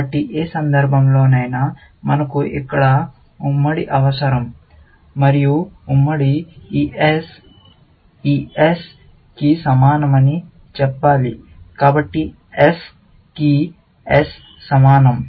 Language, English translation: Telugu, So, in any case, we need a joint here, and the joint should say that this S is the same as this S; so, S equal to S